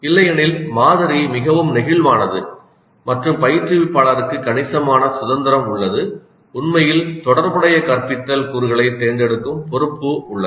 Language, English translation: Tamil, Otherwise the model is quite flexible and instructor has considerable freedom and in fact responsibility to choose relevant instructional components